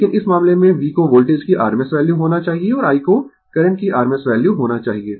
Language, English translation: Hindi, But, in this case, V should be rms value of the voltage and I should be rms value of the current right